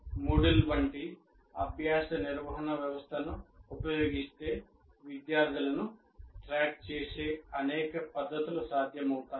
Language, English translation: Telugu, And if a learning management system like Moodle is used, many methods of tracking of students will be possible